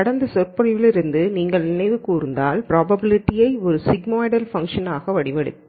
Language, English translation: Tamil, And if you recall from the last lecture we modeled the probability as a sigmoidal Function